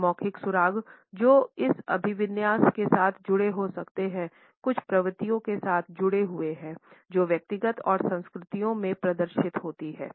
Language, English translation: Hindi, The non verbal clues which can be associated with this orientation are linked with certain tendencies which are exhibited in individual and it over cultures